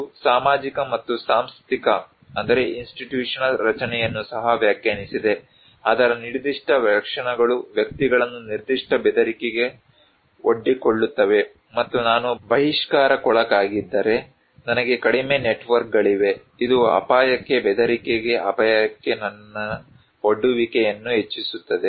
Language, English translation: Kannada, It also defined the social and institutional structure, features of that one that also bring individuals in a particular exposure of threat and like if I am an outcast, I have less networks, it actually increase my exposure to a hazard, to a threat, to a risk